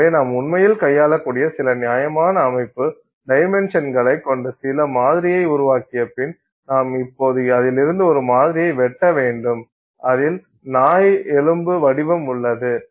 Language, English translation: Tamil, So, having made some sample which is of some reasonable, you know, physical dimensions which you can actually handle, we have to now cut a sample out of it which has let's say the dog bone shape